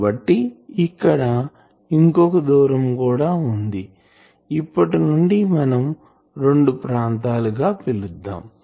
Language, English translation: Telugu, So, there is another distance let me call this there are two regions